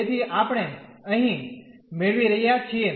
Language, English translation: Gujarati, So, let us do it here